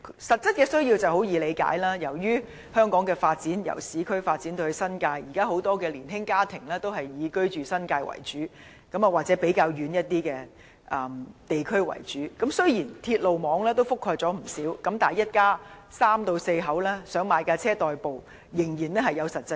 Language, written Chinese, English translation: Cantonese, 實質的需要很容易理解，由於香港由市區發展至新界，現時很多年輕家庭主要居住在新界或較偏遠的地區，雖然鐵路網已覆蓋不少地方，但一家三至四口仍有實際需要買車代步。, It is easy to understand this need . Since the development of Hong Kong has extended from the urban areas to the New Territories the younger households mainly live in the New Territories or the relatively remote districts . Although the railway network has a wide coverage but a family of three or four really needs to buy a car for commuting